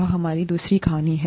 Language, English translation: Hindi, This is going to be our second story